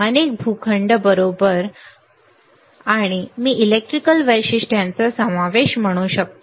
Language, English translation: Marathi, Several plots right and I can say including electrical characteristics right